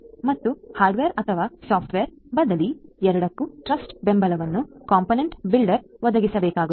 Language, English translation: Kannada, And the trust support for both hardware or software replacements will have to be provided by the component builder